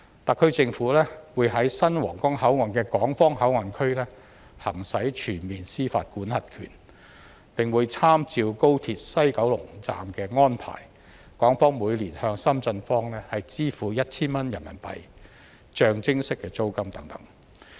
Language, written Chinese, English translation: Cantonese, 特區政府會在新皇崗口岸的港方口岸區行使全面司法管轄權，並會參照高鐵西九龍站的安排，港方每年向深圳方支付 1,000 元人民幣象徵式租金等。, The HKSAR Government will exercise full jurisdiction in the Hong Kong Port Area of the new Huanggang Port and draw reference from the arrangement adopted in the Express Rail Link West Kowloon Station and pay a nominal fee of RMB1,000 per year to the Shenzhen side as rent